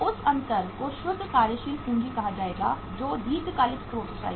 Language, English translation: Hindi, That difference will be called as the net working capital which will come from the long term sources